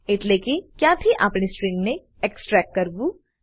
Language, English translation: Gujarati, from where we want to start extraction of the string